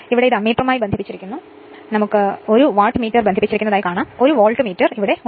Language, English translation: Malayalam, So, this is the Ammeter is connected 1 Wattmeter is connected and 1 Voltmeter is here